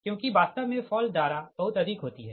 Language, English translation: Hindi, right, so actually fault current is very high